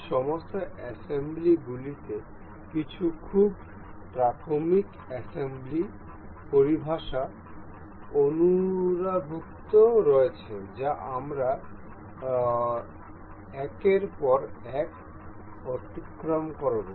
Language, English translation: Bengali, All these assembly includes some very elementary assembly terminologies that we will go through one by one